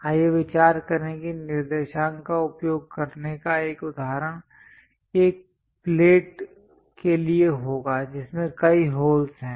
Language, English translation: Hindi, Let us consider a example of using coordinates would be for a plate that has many holes in it